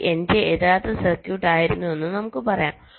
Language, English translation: Malayalam, first, lets say this was my original circuit